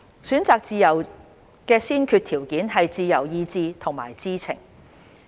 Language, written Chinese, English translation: Cantonese, 選擇自由的先決條件是自由意志和知情。, The prerequisites for freedom of choice are free will and knowledge